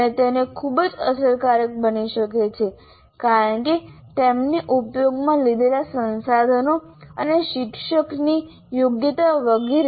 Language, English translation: Gujarati, And it can be very effective because of the resources that you have used and the competence of the teacher and so on